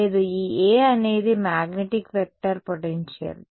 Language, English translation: Telugu, No, this A is the magnetic vector potential